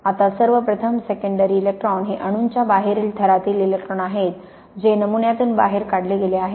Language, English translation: Marathi, Now, first of all secondary electrons these electrons from the atoms from the outer layer electrons in the atoms that have been ejected from the sample